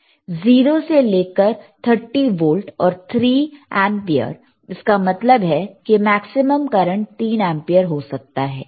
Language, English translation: Hindi, 0 to 30 volts and 3 ampere;, means, maximum current can be 3 ampere